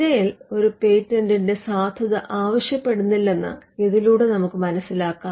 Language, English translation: Malayalam, This tells us that the search does not warrant the validity of a patent